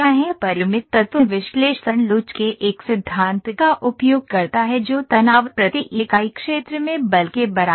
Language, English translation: Hindi, Finite Element Analysis uses a theory of elasticity that is stress is equal to force per unit area